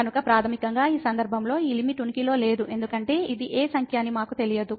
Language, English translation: Telugu, So, basically in this case this limit does not exist because we do not know what number is this